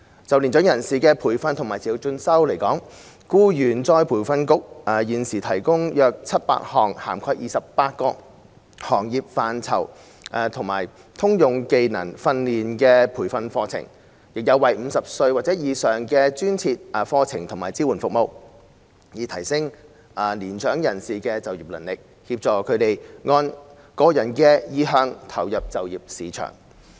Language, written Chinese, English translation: Cantonese, 就年長人士的培訓和持續進修而言，僱員再培訓局現時提供約700項涵蓋28個行業範疇及通用技能訓練的培訓課程，亦有專為50歲或以上人士而設的課程及支援服務，以提升年長人士的就業能力，協助他們按個人的意向投入就業市場。, In respect of training and continuing education for mature persons the Employees Retraining Board currently offers about 700 training courses covering 28 industries and for developing generic skills . Courses and support services are also provided specifically for people aged 50 or above in an effort to upgrade the employability of mature persons and assist them in joining the employment market according to their own preferences